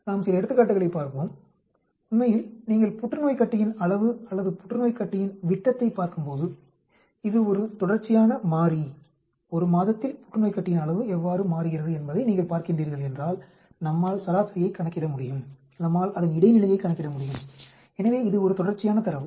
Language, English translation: Tamil, Let us look at some examples actually, when you are looking at say change in tumor volume or tumor diameter, that is a continuous variable, we can calculate mean, we can calculate median for that, if your looking at how the tumor volume changes in 1 month so that is a continuous data